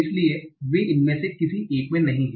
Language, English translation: Hindi, So they are not included in one of these